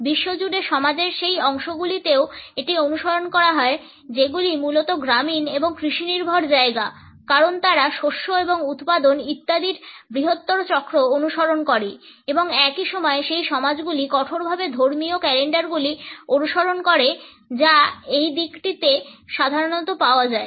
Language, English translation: Bengali, It is also followed in those sections of the society the world over which are basically rural and agrarian because they follow the larger cycles of the crop and production etcetera and at the same time those societies which rigorously follow the religious calendars this orientation is normally found